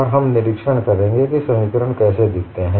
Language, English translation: Hindi, And we would observe how the equations look like